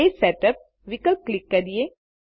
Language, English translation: Gujarati, Click Page Setup option